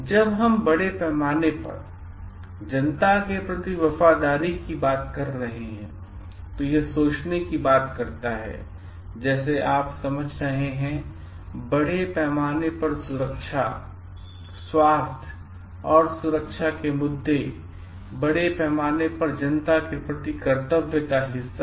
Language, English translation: Hindi, When we are talking of loyalty towards the public at large, it talks of like thinking of the safety, health and security issues of the greater public at large and you understanding ones part of duty towards them